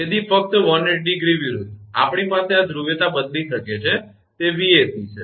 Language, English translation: Gujarati, So, just 180 degree opposite, we have might change this polarity it is Vac